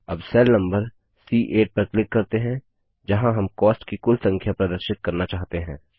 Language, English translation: Hindi, Now lets click on cell number C8 where we want to display the total of the costs